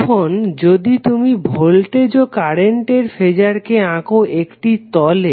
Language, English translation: Bengali, Now, if you plot the current and voltage Phasor on the plane